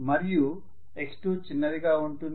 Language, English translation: Telugu, And we considered x2 is smaller